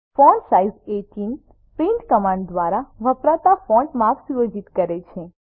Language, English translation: Gujarati, fontsize 18 sets the font size used by print command